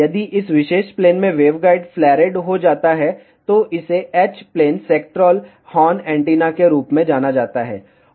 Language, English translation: Hindi, If waveguide is flared in this particular plane, it is known as H plane sectoral horn antenna